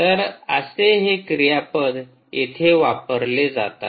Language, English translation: Marathi, these are all the verbs which are there here